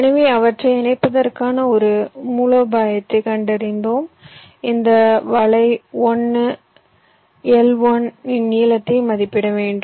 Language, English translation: Tamil, so once we find out a strategy of connecting them, i have to estimate the length of this net, one l one